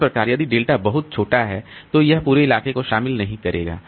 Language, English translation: Hindi, So, that way if the delta, if delta is too small, it will not encompass the entire locality